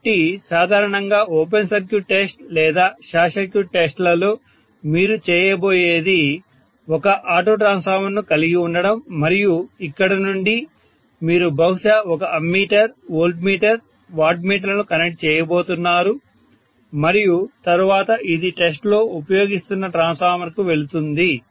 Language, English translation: Telugu, So normally open circuit test or short circuit test what you are going to do is to have an auto transformer and from here, you are going to connect, maybe an ammeter, a voltmeter, a wattmeter and then this will go to the transformer under test, this is how it is going to be, right